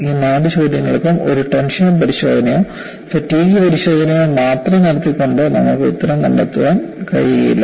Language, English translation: Malayalam, For all these four questions, you cannot find an answer by performing only a tension test or a fatigue test